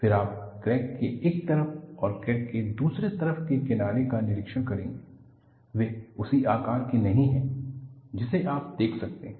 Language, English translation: Hindi, Then you will observe the fringes on one side of the crack and other side of the crack, are not of same size, which you could observe